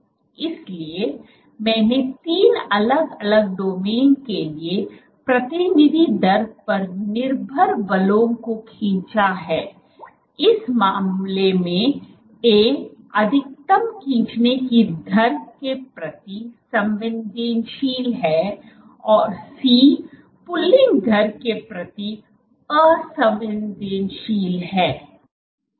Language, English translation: Hindi, So, I have drawn representative rate dependent forces for three different domains, in this case A is maximally sensitive to pulling rate and C is insensitive to pulling rate